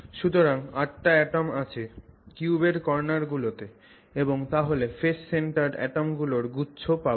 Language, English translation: Bengali, So, eight atoms at the cube corners and then you have a bunch of phase centered atoms